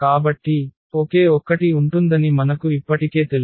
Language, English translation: Telugu, So, we know already that there would be only one